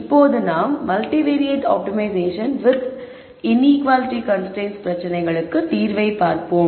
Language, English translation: Tamil, Now we move on to multivariate optimization problems with inequality constraints